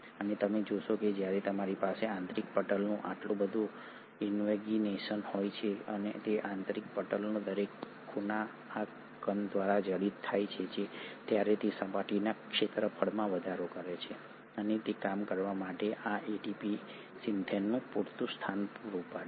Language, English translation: Gujarati, And you find that when you have so much of invagination of the inner membrane and every nook and corner of this inner membrane gets studded by this particle, it increases the surface area and it provides sufficient positioning of this ATP Synthase to work